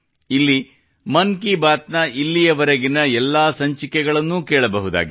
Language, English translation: Kannada, Here, all the episodes of 'Mann Ki Baat' done till now can be heard